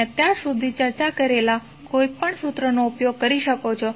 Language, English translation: Gujarati, You can use any formula which we have discussed till now